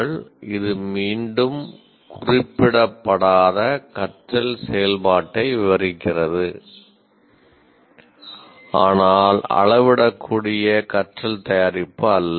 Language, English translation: Tamil, So, once again, this describes non specific learning activity, learning activity but not a learning product that can be measured